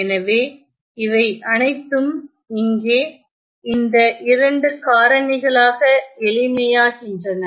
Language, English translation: Tamil, So, this all simplifies into these 2 factors here ok